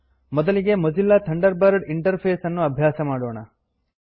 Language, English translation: Kannada, First, lets familiarise ourselves with the Mozilla Thunderbird interface